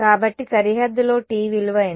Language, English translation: Telugu, So, on the boundary what is the value of T